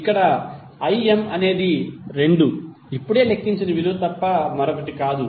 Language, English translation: Telugu, Here Im is nothing but 2 which we just calculated